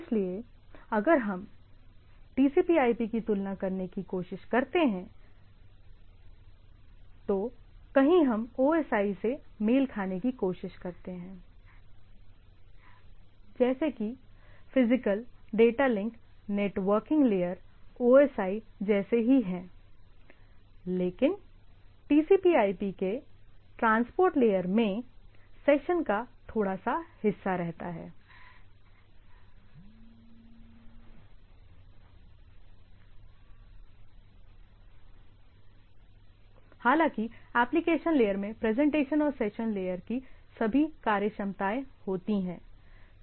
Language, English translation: Hindi, So, if we try to compare these TCP/IP, so somewhere we try to match like this, like physical, data link, networking etcetera whereas, transport of the TCP/IP takes a little bit of the part of the session and the transport where as the application takes care presentation and the application and maybe little bit of the session layer